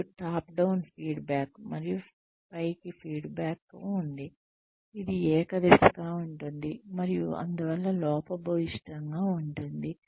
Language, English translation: Telugu, And, there is top down feedback, and upward feedback, which could be unidirectional, and hence flawed